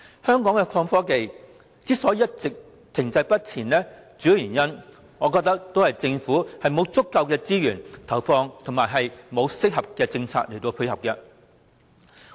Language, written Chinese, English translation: Cantonese, 香港的創新科技之所以一直停滯不前，主要的原因是政府沒有投放足夠的資源，也沒有推出適當的政策配合。, IT development remains stagnant in Hong Kong mainly because the Government has neither devoted adequate resources nor introduced appropriate policies